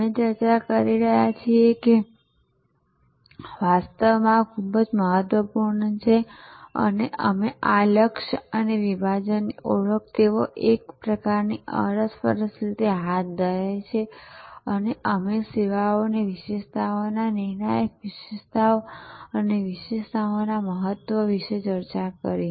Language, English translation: Gujarati, And we discuss that actually this is very important and this focusing and identification of the segment they go kind of interactively hand in hand and we discussed about service attributes determinant attributes and important of attributes